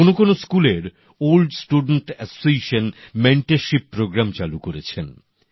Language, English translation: Bengali, The old student associations of certain schools have started mentorship programmes